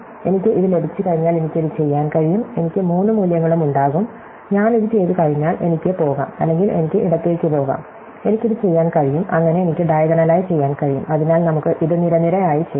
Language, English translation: Malayalam, Once I got this, I can do this, I will have all three values, once I do this, I can go right or I can go left, I can do this and so on, I can do diagonally, so let us do it column by column